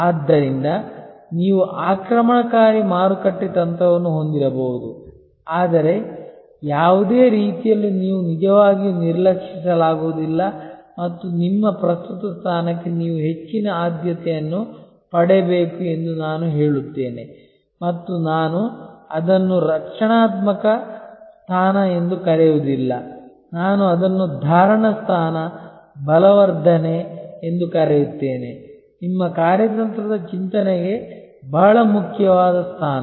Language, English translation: Kannada, So, you may have an offensive aggressive market strategy, but in no way you can actually neglect and I would say you must get higher priority to your current position and I would not call it defensive position, I would rather call it retention position, consolidation position which is very important for your strategic thinking